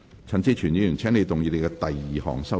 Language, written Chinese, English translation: Cantonese, 陳志全議員，請動議你的第二項修正案。, Mr CHAN Chi - chuen you may move your second amendment